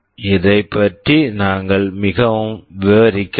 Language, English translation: Tamil, We are not going into too much detail of this